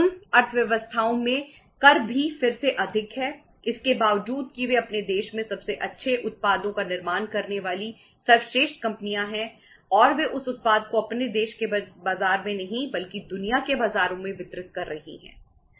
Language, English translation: Hindi, Taxes also are again high in those economies despite that they are the best say firms manufacturing the best products uh in in their own country and they are distributing that product to the not to their own country’s market but to the world markets